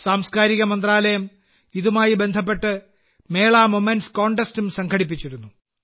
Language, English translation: Malayalam, The Ministry of Culture had organized a Mela Moments Contest in connection with the same